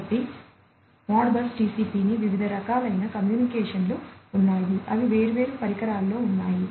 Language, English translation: Telugu, So, ModBus TCP has different, you know, different types of communication, in the different devices that they have